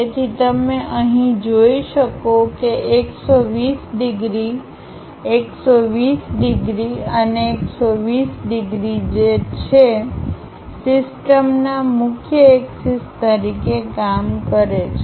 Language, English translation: Gujarati, So, you can see here the 120 degrees, 120 degrees and 120 degrees which serves as principal axis of the system